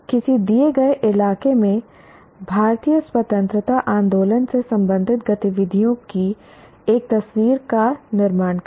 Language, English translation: Hindi, Construct a picture of activities related to Indian freedom movement in a given locality